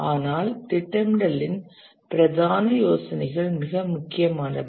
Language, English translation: Tamil, But still the main ideas of scheduling are very important